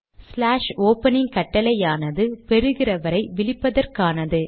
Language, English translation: Tamil, The command slash opening is used to address the recipient